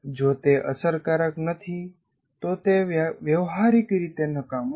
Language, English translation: Gujarati, If it is not effective, it is practically useless